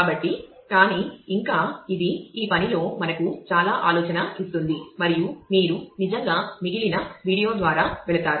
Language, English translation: Telugu, So,, but yet it will give us lot of food for thought in this work and while you actually go through the rest of the video